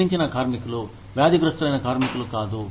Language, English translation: Telugu, Deceased workers, not diseased workers